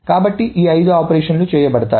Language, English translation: Telugu, So these are the five operations that is done